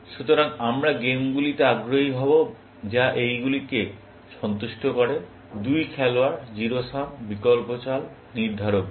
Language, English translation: Bengali, So, we would be interested in games, which satisfy these (); two player, zero sum, alternate moves, deterministic games